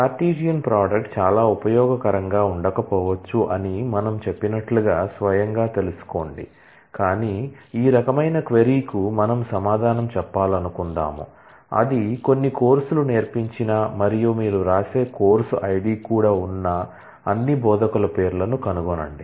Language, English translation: Telugu, Know by itself as we had said that, by itself the Cartesian product may not be very useful, but suppose we want to answer this kind of a query, that find all names of all instructors who have taught some course and for those you also write the course id